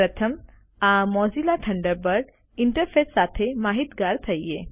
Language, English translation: Gujarati, First, lets familiarise ourselves with the Mozilla Thunderbird interface